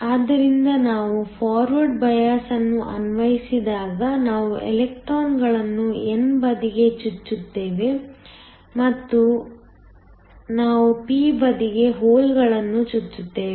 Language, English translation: Kannada, So, when we apply a forward bias we are injecting electrons into the n side and we are injecting holes on to the p side